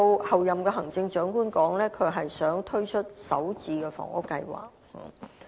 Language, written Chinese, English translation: Cantonese, 候任行政長官提到，她希望推出首置房屋計劃。, The Chief Executive - elected has said that she wants to launch a home - starter housing programme